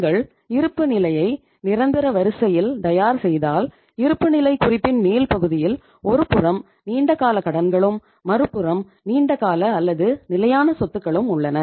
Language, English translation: Tamil, If you prepare the balance sheet in the order of permanence then on the upper part of the balance sheet you have the long term liabilities on the one side and the long term or the fixed assets on the other side